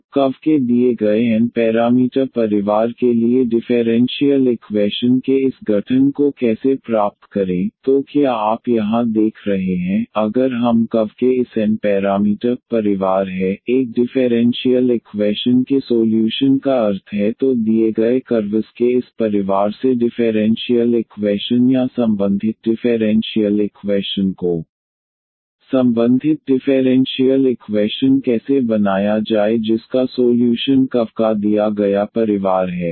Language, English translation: Hindi, So, how to get the how to do this formation of the differential equation for given n parameter family of curves; so what you have see here if we have this n parameter family of curves; meaning the solution of a differential equation then from this given family of curves how to form the differential equation or the associated differential equation corresponding differential equation whose solution is this given family of curves